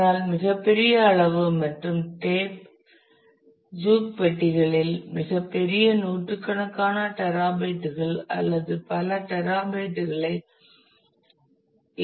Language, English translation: Tamil, But very large in volume and tape juke boxes can support hundreds of terabytes or even multiple of petabyte